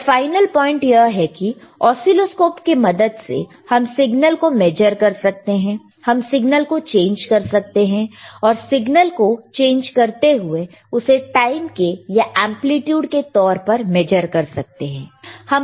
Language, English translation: Hindi, But the final point is that oscilloscopes are used to measure the signal, and we can change the signal and we can change see the change in the signal by measuring the time or by measuring the amplitude,